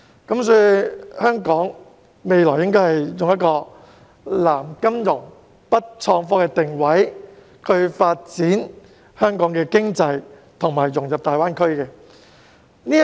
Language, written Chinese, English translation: Cantonese, 因此，香港日後應該以"南金融、北創科"作定位，發展香港的經濟和融入大灣區。, Thus in future Hong Kong should develop its economy and integrate into GBA by developing financial services in the south and IT in the north